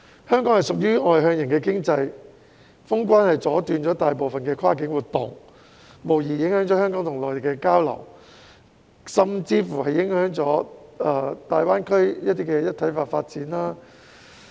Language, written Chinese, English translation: Cantonese, 香港屬於外向型經濟，封關阻斷了大部分跨境活動，影響了香港與內地的交流，甚至影響到大灣區的一體化發展。, Hong Kong is an externally - oriented economy . Boundary closure has interrupted most cross - border activities affecting the exchange between Hong Kong and the Mainland and even the integrated development of the Greater Bay Area